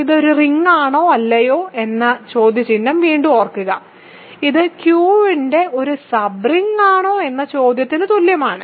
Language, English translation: Malayalam, So, remember again the question whether this is a ring or not is same as the question whether this is a sub ring of Q or not